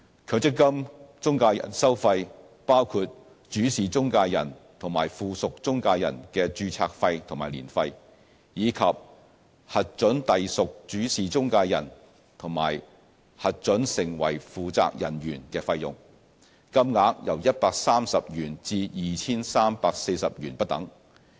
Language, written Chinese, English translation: Cantonese, 強積金中介人收費包括主事中介人及附屬中介人的註冊費和年費，以及核准隸屬主事中介人和核准成為負責人員的費用，金額由130元至 2,340 元不等。, The MPF - i fees ranging from 130 to 2,340 include registration fees and annual fees of Principal Intermediaries PIs and Subsidiary Intermediaries as well as approval fees for attachment to PIs and appointment of Responsible Officers